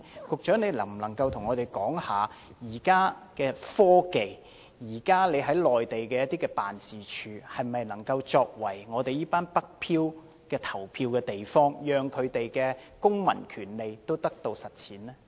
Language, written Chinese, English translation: Cantonese, 局長能否回應，憑藉現時的科技，特區政府駐內地辦事處能否作為"北漂"市民的投票地方，讓他們的公民權利得以實踐？, Can the Secretary answer whether the SAR Governments offices on the Mainland can be used as polling places for northward drifters with the help of current technology so that they can exercise their civil right to vote?